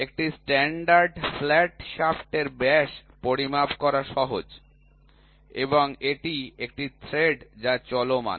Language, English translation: Bengali, So, a standard flat shaft it is easy to measure the diameter, here it is a thread which runs